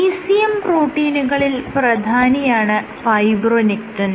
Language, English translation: Malayalam, So, fibronectin is one of the most important ECM proteins